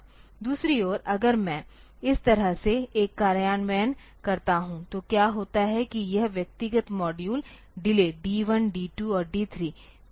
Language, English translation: Hindi, On the other hand; if I do an implementation like this then what happens is that this individual module delay, so, D 1, D 2 and D 3